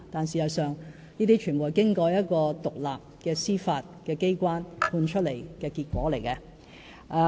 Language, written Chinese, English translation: Cantonese, 事實上，這些判決全部是經過一個獨立司法機關裁定的結果。, In fact all these verdicts were determined by an independent judiciary